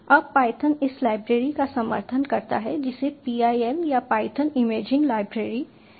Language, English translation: Hindi, now python supports this library called pil or python imaging library